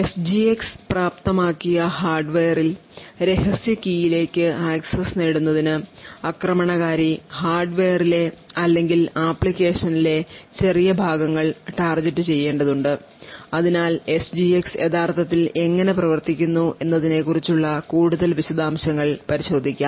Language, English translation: Malayalam, While in the SGX enabled hardware the attacker would have to target small regions in the hardware or small portions of code in the application in order to achieve in order to gain access to the secret key so let us look into more details about how SGX actually works